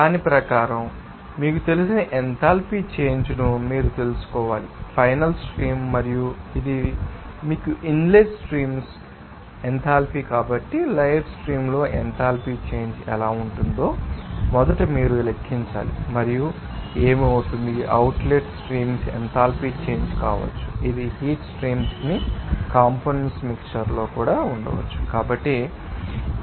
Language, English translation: Telugu, So, according to that, you have to you know calculate that enthalpy change because of this you know, final stream and this you know inlet streams enthalpy So, how to be the enthalpy change in the live streams first you have to calculate and what will be the change of enthalpies in the outlet streams, it may be in that mixture of components in heat streams also